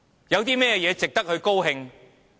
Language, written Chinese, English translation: Cantonese, 有甚麼值得高興？, What is worth happy about?